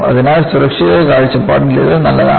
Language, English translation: Malayalam, So, it is good from the point of view of safety